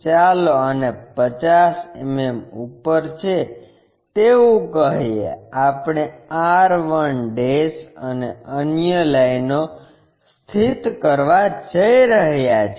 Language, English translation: Gujarati, Let us call this is at 50 mm above on this, we are going to locate r 1' and other lines